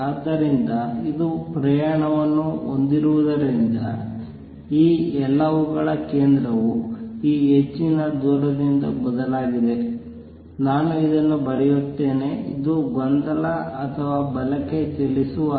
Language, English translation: Kannada, So, because it has travel that much all that happened is a center of this has shifted by this much distance v t, let me write this; this is the disturbance or the wave travelling to the right